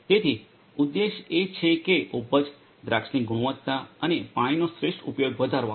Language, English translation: Gujarati, So, the objective is to have to increase the yield, increase yield, quality of grapes and optimal use of water